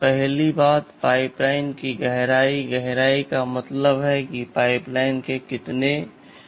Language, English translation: Hindi, First thing is pipeline depth; depth means how many stages of the pipeline are there